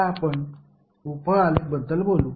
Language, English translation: Marathi, Now let us talk about the sub graph